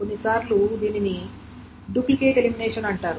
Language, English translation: Telugu, It's called the duplicate elimination